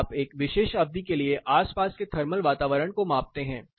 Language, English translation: Hindi, So, that you measure the thermal environment surrounding for a particular duration